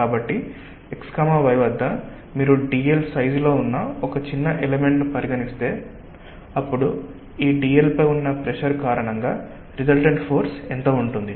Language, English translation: Telugu, so at the x comma y, if you considered a small element, say of size d l, then what is the resultant force due to pressure on this d l